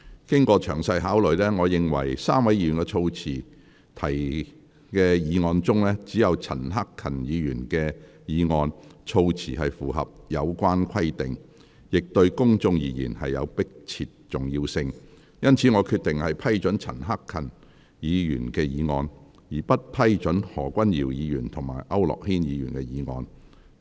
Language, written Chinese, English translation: Cantonese, 經詳細考慮，我認為3位議員所提的議案中，只有陳克勤議員的議案措辭符合有關規定，亦對公眾而言有迫切重要性，因此我決定批准陳克勤議員的議案，而不批准何君堯議員及區諾軒議員的議案。, After careful consideration I only find that the wording of Mr CHAN Hak - kans motion satisfies the requirement concerned among the motions raised by the three Members . His motion is also of urgent public importance . Hence I have decided to approve Mr CHAN Hak - kans motion but not those proposed by Mr Junius HO and Mr AU Nok - hin